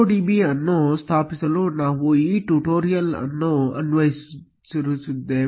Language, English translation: Kannada, We are going to follow this tutorial to install MongoDB